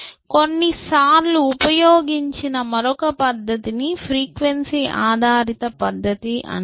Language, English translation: Telugu, Another feature which has sometimes been used is called the frequency based method